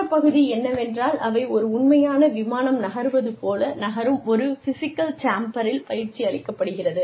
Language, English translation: Tamil, And, the other part is that, they are put in a physical chamber, that moves, like a real aeroplane would move